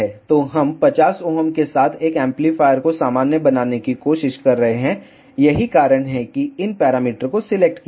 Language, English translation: Hindi, So, we are trying to normalize an amplifier with 50 Ohm that is why these parameters are selected